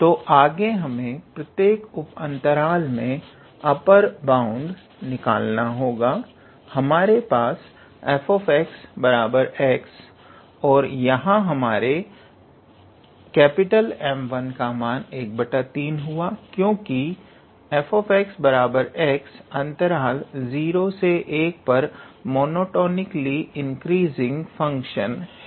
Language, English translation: Hindi, So,we have f x equals to x and from here; our capital M 1 is basically f of 1 by 3, because f x equals to x is a monotonically increasing function in the interval 0 to 1